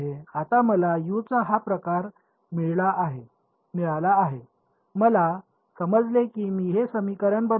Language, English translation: Marathi, Now that I have got this form of U, I substituted into this equation that I got alright